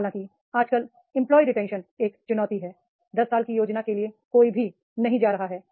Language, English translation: Hindi, However, nowadays because of the employee retention is a challenge, nobody is going for the 10 years planning is there